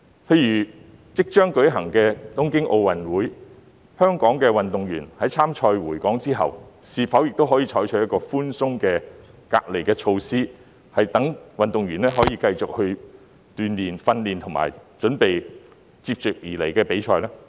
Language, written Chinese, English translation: Cantonese, 例如即將舉行的東京奧運會，在香港的運動員比賽完畢回港後，是否亦可以採取一個較寬鬆的隔離措施，讓他們可以繼續鍛鍊、訓練和準備接下來的比賽呢？, In the upcoming Tokyo Olympics for example can a more relaxed isolation measure be adopted for Hong Kong athletes after they return to Hong Kong from the competition so that they can continue to practise receive training and prepare for the following competitions?